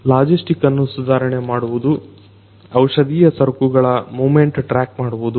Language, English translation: Kannada, Improving logistics; tracking the movement of pharmaceutical goods